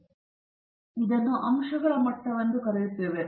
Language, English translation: Kannada, So, we just call it as the levels of the factors